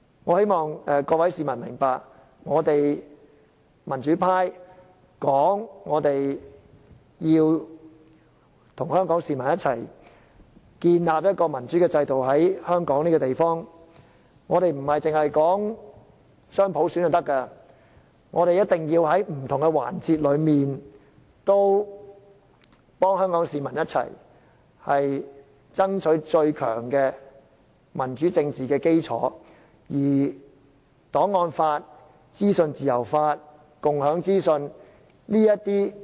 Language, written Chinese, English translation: Cantonese, 我只望各位市民明白到，我們民主派聲稱要和香港市民一起，在香港建立一個民主制度，所說的不單是雙普選，我們更要在不同環節和香港市民一起爭取最強的民主政治基礎，包括我們不應忘記的檔案法、資訊自由法和共享資訊等。, Well I only wish that every single citizen understood that when we the pro - democratic Members declare that we must stay together with the Hong Kong people to help build a democratic system in Hong Kong we meant not only to fight for dual universal suffrage but also to strive for the strongest political foundation for democracy which includes such crucial elements as the archives law the law on freedom of information and the sharing of information . These are things that we must not forget